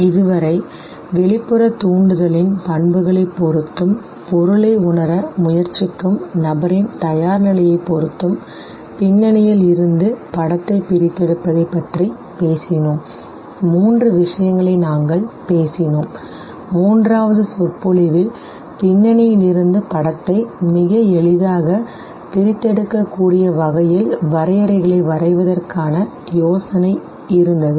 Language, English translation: Tamil, Till now we have talked about the what you call extraction of image from the background depending on one the properties of the external stimuli, two, the readiness of the person who is trying to perceive the object, and three, what we were talking towards the end of the third lecture was the idea of drawing the contours so that the image can very easily be extracted out from the background